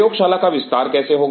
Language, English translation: Hindi, How the lab will expand